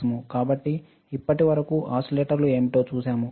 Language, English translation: Telugu, So, until now we have seen what are the oscillators